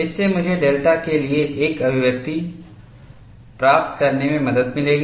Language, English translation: Hindi, So, this will help me to get an expression for delta